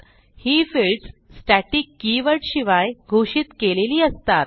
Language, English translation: Marathi, These fields are declared without the static keyword